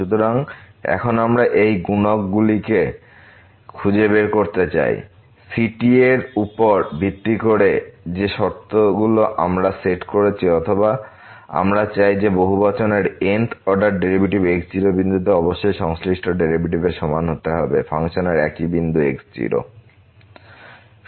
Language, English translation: Bengali, So, now we want to find these coefficients ’s based on the conditions which we have set or we wish to have that this up to th order derivative of this polynomial at the point must be equal to the respective derivative of the function at the same point